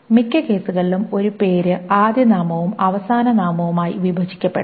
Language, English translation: Malayalam, A name can, in most cases, can be broken down into a first name and a last name